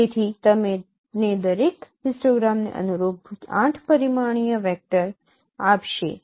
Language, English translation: Gujarati, So each one will give you 8 dimensional vectors corresponding to each histogram